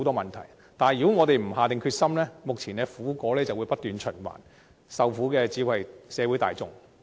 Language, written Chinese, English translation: Cantonese, 如不下定決心，目前的苦果便會不斷循環，受苦的只會是社會大眾。, If we do not show our determination the current vicious cycle will just repeat itself . It is only the general public who will suffer